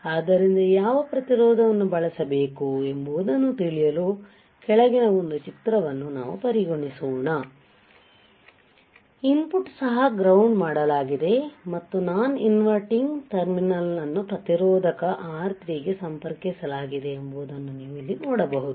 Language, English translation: Kannada, So, see what resistance should be used right to know what resistance to use let us consider a figure below, which you can see here right where the input is also grounded and non inverting terminal is connected with the resistor R3 right